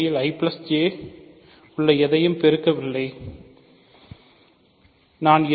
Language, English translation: Tamil, Actually I do not want to take product of anything inside I plus J